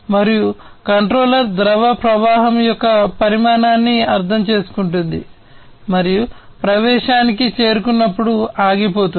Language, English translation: Telugu, And the controller would interpret the amount of fluid flow and stop, when the threshold is reached